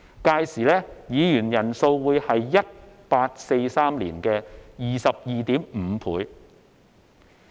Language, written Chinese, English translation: Cantonese, 屆時議員人數會是1843年的 22.5 倍。, By that time the number of Members will be 22.5 times of that in 1843